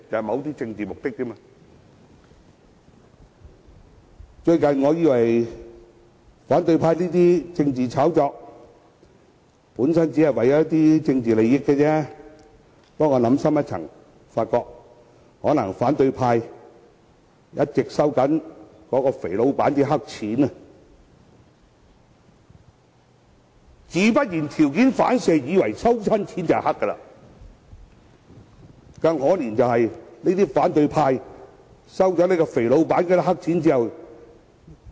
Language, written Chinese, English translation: Cantonese, 我原本以為反對派這些政治炒作只是為了一些政治利益，但我想深一層，便發覺可能是由於反對派一直在收取那位"肥老闆"的黑錢，於是條件反射，自然以為凡是收錢便一定是黑錢。, Initially I thought the political hype of the opposition camp merely seeks to obtain political benefits but after careful thinking I realized that as the opposition camp has been accepting black money from the fatty boss thus as a conditioned reflex it would probably think that black money was involved whenever it comes to payment of money